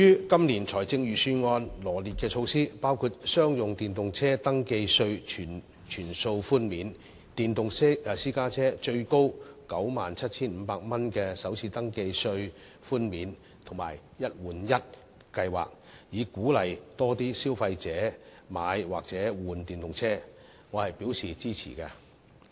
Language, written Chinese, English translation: Cantonese, 今年財政預算案羅列的措施，包括商用電動車登記稅全數寬免、電動私家車最高 97,500 元的首次登記稅寬免，以及"一換一"計劃，以鼓勵更多消費者購買或更換電動車，對此我是表示支持的。, The Budget this year has a list of measures to encourage consumers to buy or switch to EVs including waiving in full the first registration tax FRT for electric commercial vehicles providing an FRT concession for electric private cars of up to 97,500 and introducing an one - for - one replacement scheme . I support all these measures